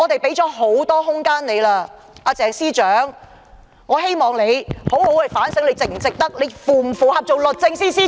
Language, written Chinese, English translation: Cantonese, 因此，我希望鄭司長能好好反省自己究竟是否符合資格擔任律政司司長。, Hence I hope Secretary CHENG will self - reflect and mull over whether herself is qualified to serve as Secretary for Justice